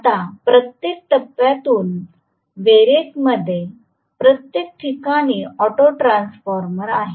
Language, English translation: Marathi, Now, from each of the phases through the variac this is the auto transformer